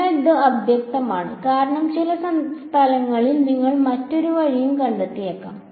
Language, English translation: Malayalam, So, that is unambiguous because you might find in some places the other way also alright